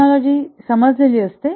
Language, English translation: Marathi, Technology is understood